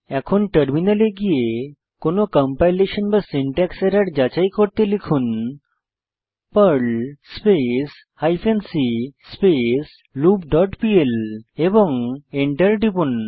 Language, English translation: Bengali, Type the following to check for any compilation or syntax error perl hyphen c whileLoop dot pl and press Enter